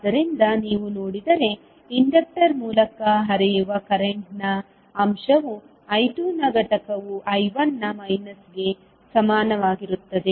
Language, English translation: Kannada, So, if you see that the component of current flowing through the inductor the component of I2 will be nothing but equal to minus of I1